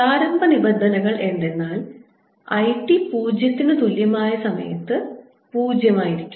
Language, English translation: Malayalam, the initial conditions are: i t equal to zero is equal to zero